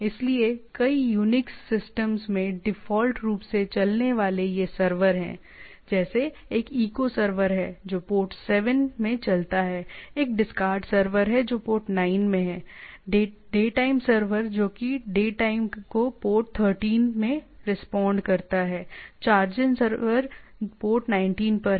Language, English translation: Hindi, So, many Unix systems have these servers running by default, like is one is echo server which runs in port 7; there is a discard server which is in port 9; daytime server which responds with the day time is port 13; chargen server which is at port 19